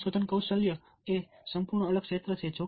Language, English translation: Gujarati, research skill is an entire different area